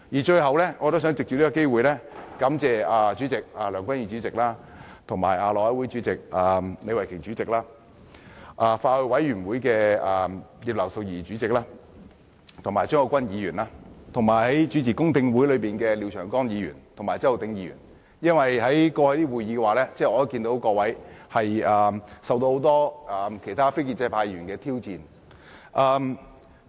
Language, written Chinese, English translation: Cantonese, 最後，我也想藉此機會感謝梁君彥主席、內務委員會主席李慧琼議員、法案委員會的主席葉劉淑儀議員和副主席張國鈞議員，以及主持公聽會的廖長江議員及周浩鼎議員，因為在過去的會議上，我看到各位受到很多其他非建制派議員的挑戰。, Lastly I would like to take this opportunity to thank President Andrew LEUNG; Chairman of the House Committee Ms Starry LEE Chairman of the Bills Committee Mrs Regina IP; Vice - chairman of the Bills Committee Mr CHEUNG Kwok - kwan; and Mr Martin LIAO and Mr Holden CHOW for chairing the public hearings . It is because I saw many of them challenged by many Members from the non - establishment camp